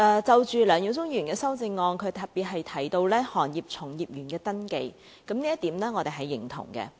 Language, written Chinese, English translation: Cantonese, 就梁耀忠議員的修正案，他特別提到行業從業員的登記，這點我們是認同的。, As for Mr LEUNG Yiu - chungs amendment he made particular mention of establishing a registration system for practitioners in the industry and I agree with this